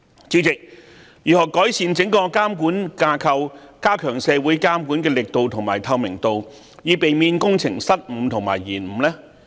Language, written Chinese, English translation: Cantonese, 主席，如何改善整個監管架構，加強社會監管力度和透明度，以避免工程失誤和延誤呢？, President how should the entire supervisory framework be improved so as to enhance supervision by the community and transparency thereby avoiding blunders and delays in works?